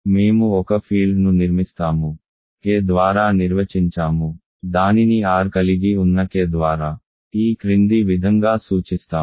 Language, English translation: Telugu, We construct or we define a field let us denote it that by K which contains R as follows